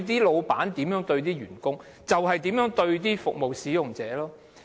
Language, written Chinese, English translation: Cantonese, 老闆如何對待，員工便如何對待服務使用者。, And the way an employer treats the staff is certainly reflected in the way the staff treats the service users